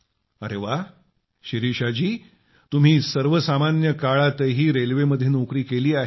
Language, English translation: Marathi, Ok Shirisha ji, you have served railways during normal days too